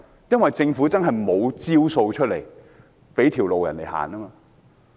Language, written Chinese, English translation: Cantonese, 因為政府確實沒有方案給他們一條生路。, This is due to the fact that the Government has not given them a way out in any of its measures